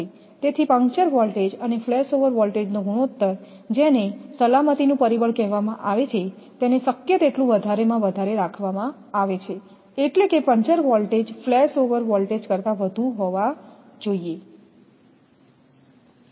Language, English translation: Gujarati, So ratio of the puncture voltage to flash over voltage called the factor of safety this is called factor of safety it is kept as high as possible that means puncture voltage should be much higher than the flash over voltage